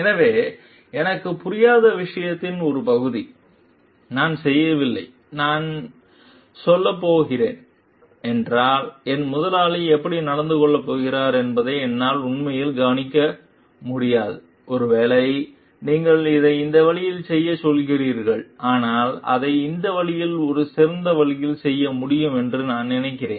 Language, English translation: Tamil, So, this part of thing I do not understand, I do not do I really cannot predict how my boss is going to behave if I am going to tell like maybe this is where you are telling to do it in this way, but I think it can be done in a better way in this way